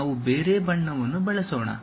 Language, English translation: Kannada, Let us use some other color